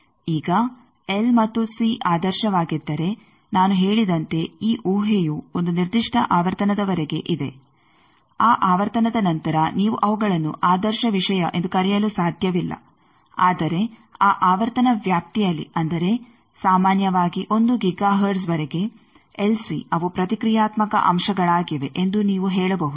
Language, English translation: Kannada, Now, if the L and C are ideal as I said that this assumption is up to a certain frequency after that frequency you cannot call them as ideal thing, but within that frequency range that means, typically up to 1 giga hertz you can say that LC they are reactive elements